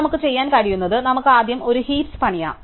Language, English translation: Malayalam, So, what we can do is, we can first build a heap, right